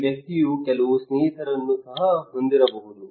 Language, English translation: Kannada, This person he may have also some friend